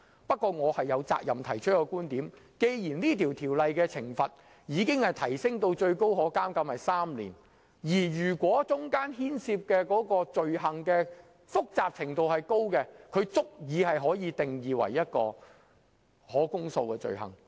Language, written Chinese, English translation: Cantonese, 不過，我有責任提出我的觀點，就是既然這項《條例草案》已將罰則提升至最高可監禁3年，而牽涉的罪行又相當複雜，其實已足以定義為可公訴罪行。, Nevertheless I am obliged to express my viewpoint . As this Bill has raised the penalty so that a maximum imprisonment term of three years may be imposed and given the complexity of the offence it can actually be defined as an indictable offence